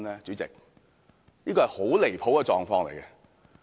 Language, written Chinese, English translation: Cantonese, 主席，這是很離譜的狀況。, President the situation is ridiculous